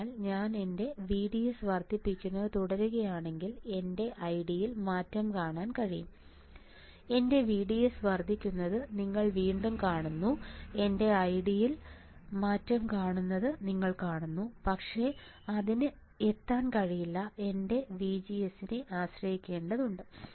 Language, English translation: Malayalam, So, if I apply if I keep on increasing my VDS, I can see change in my I D I keep on increasing my VDS you see again see change in my I D right, but that cannot reach that also has to depend on my VGS right